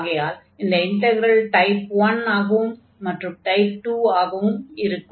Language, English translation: Tamil, So, we have the integral of type 1 as well as type 2